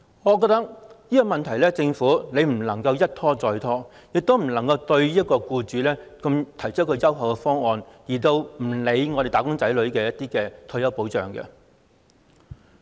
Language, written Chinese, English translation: Cantonese, 我認為這個問題政府不能一拖再拖，也不能夠對僱主提出如此優厚的方案，卻不理會"打工仔女"的退休保障。, I think the Government cannot keep stalling on this issue; nor can it put forward such a generous proposal for employers to the neglect of retirement protection for the wage earners